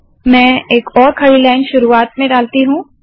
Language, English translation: Hindi, Let me put one more vertical line at the beginning